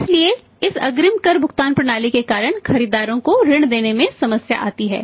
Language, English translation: Hindi, So, because of this advance tax payment system there comes a problem in extending the credit to the buyers